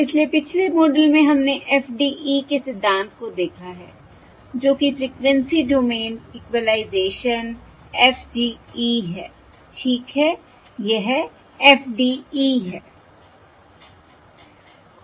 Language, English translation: Hindi, alright, so in the previous model we have looked at the theory of FDE, which is frequency, which is Frequency Domain Equalisation, FDE right, this is FDE And this is